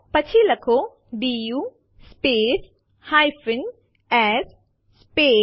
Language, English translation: Gujarati, Then type du space s space *